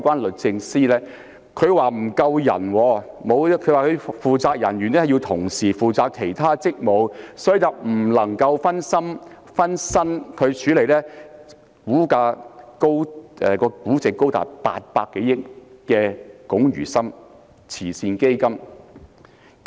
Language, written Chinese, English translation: Cantonese, 律政司表示，負責人員要同時負責其他職務，不能分身處理估值高達800多億元的華懋慈善基金。, For instance the Department of Justice DoJ has indicated that it has no spare staffing capacity to handle the Chinachem Charitable Foundation valued at over 80 billion